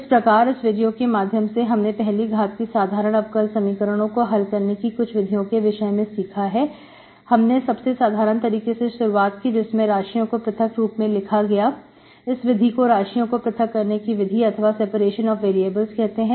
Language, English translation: Hindi, So in this video we have explained a few methods to solve the first order ordinary differential equation starting with the simpler one where variables are separated, it is called separation of variable methods